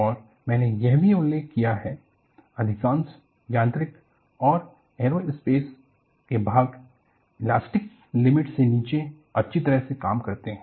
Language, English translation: Hindi, And I have also mentioned, most of the mechanical and aerospace components serve well below the elastic limit